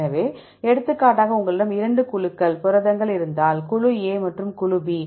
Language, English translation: Tamil, So, for example, if you have 2 groups of proteins, group A and group B